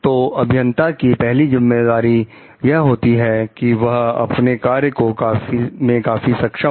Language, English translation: Hindi, So, one of the primary responsibilities of the engineers is competent in their work